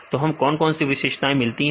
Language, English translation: Hindi, So, you can, what are the various features we get